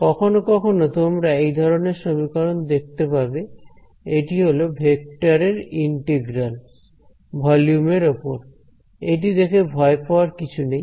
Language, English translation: Bengali, Sometimes you might encounter an expression like this, it is an integral of a vector over the volume, we should not get afraid all